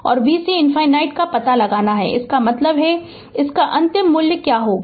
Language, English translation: Hindi, And you have to find out v c infinity, that means this one, what will be the final value of this one